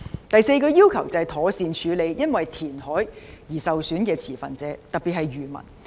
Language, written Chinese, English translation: Cantonese, 第四個要求是妥善處理因填海而受損的持份者，特別是漁民。, The fourth request is to properly deal with those stakeholders who would be adversely affected by reclamation especially the fishermen